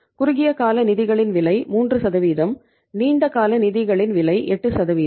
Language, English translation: Tamil, Cost of short term funds is 3%, cost of long term funds is 8%